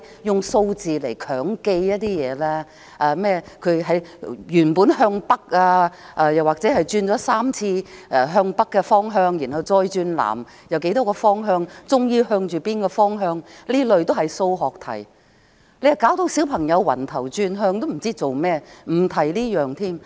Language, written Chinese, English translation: Cantonese, 用數字來強記一些內容，甚麼原本向北，轉了3次向北的方向，然後再轉向南多少，最終向着哪個方向等，這些都是數學題，令小朋友頭暈轉向，也不知自己在做甚麼，我不提這一點了。, Say using numbers to memorize the following one faces north to start with then he changes the direction three times to the north then changes to the south for how many times and what the direction he faces in the end? . This kind of mathematical problem will just make a childs head spin and have no idea what is going on . I will just skip this